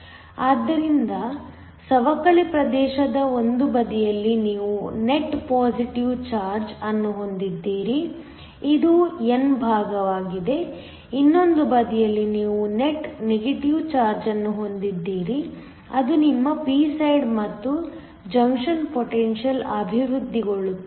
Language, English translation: Kannada, So, on one side of the depletion region you have a net positive charge this is the n side, on the other side you have a net negative charge that is your p side and there is a junction potential that develops